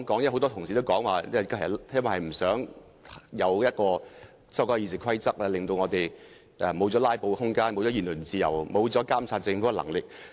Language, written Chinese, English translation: Cantonese, 很多同事說不想修改《議事規則》，因為會令議員失去"拉布"的空間、言論自由，以及監察政府的能力。, Many colleagues said that they objected to the amendment of the Rules of Procedure RoP because it would deprive Members of the room for filibustering the freedom of speech and the power to monitor the Government